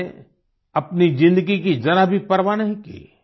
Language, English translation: Hindi, They did not care a bit for their own selves